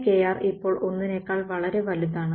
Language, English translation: Malayalam, So, 1 by kr now is much larger than 1s right